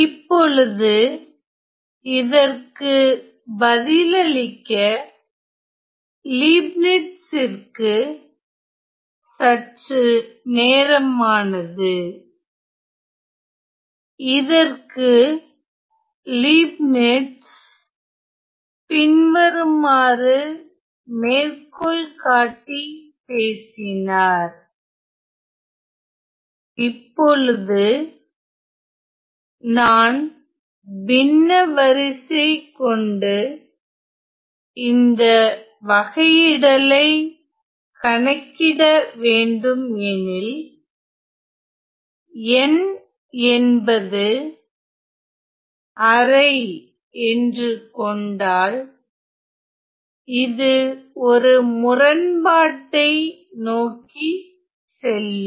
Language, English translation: Tamil, Now, it took some time for Leibniz to answer, but Leibniz famously quoted by saying that if I were to use a fractional order to evaluate this derivative let us say n equal to half then that will lead to some sort of a paradox